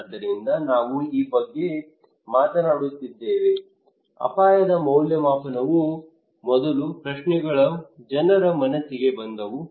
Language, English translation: Kannada, So we are talking about this one as risk appraisal the first questions came to peoples mind